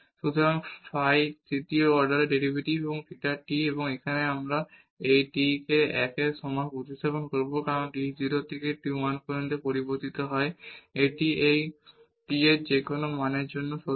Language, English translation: Bengali, So, phi the third order derivative and theta t and now we will substitute this t is equal to 1 here because t varies from 0 to 1 it is this is true for any value of this t